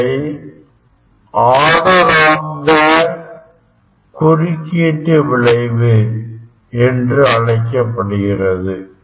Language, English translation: Tamil, these are called the order of the interference